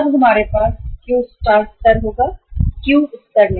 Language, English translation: Hindi, We will have now the Q star level, not the Q level